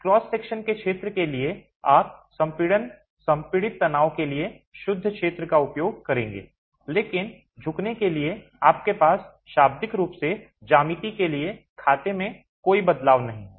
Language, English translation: Hindi, For area of cross section you would use net area for compression, compresses stresses, but for bending you have literally no change in the way you account for the geometry